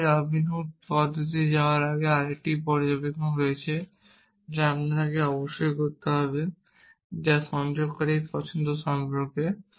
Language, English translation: Bengali, Before we go on to this Robinsons method, there is another observation that we must make which is about the choice of connectives